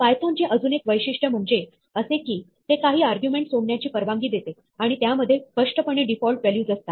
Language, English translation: Marathi, Another nice feature of python is that, it allows some arguments to be left out and implicitly have default values